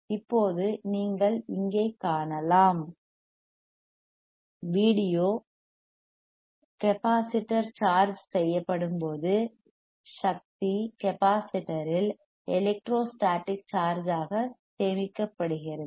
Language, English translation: Tamil, Now you can see here, the video, right when the capacitor gets charged, the energy gets stored in the capacitor as electro static charge ok